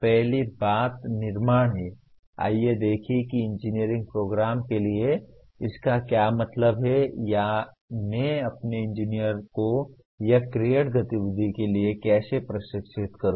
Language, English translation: Hindi, First thing is creation, let us look at what exactly it means for an engineering program or how do I train my engineer for create activity